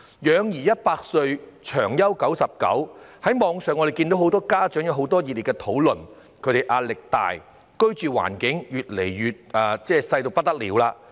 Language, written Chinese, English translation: Cantonese, 養兒一百歲，長憂九十九，我們可在網上看到很多家長熱烈討論壓力大、居住環境越來越小等問題。, As parents are always full of worries we can see online many parents keenly discuss their increasing pressure and smaller accommodation